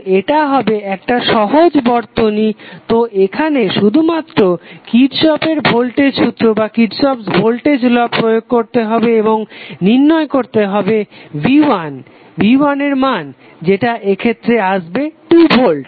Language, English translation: Bengali, So this will be a simpler circuit so you have to just apply kirchhoff's voltage law and find out the value of voltage V1 which comes outs to be 2 volt in this case